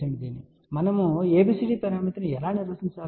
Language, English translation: Telugu, So, how do we define ABCD parameter